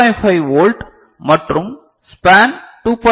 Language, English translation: Tamil, 5 volt and the span is 2